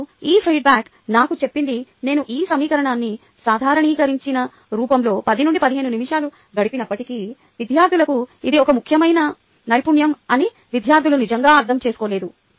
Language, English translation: Telugu, ok, now this feedback told me that, though i spent ten to fifteen minutes on this writing an equation normalized form students really didnt get the point that this is an important skill that students should have